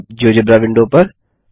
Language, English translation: Hindi, Now to the geogebra window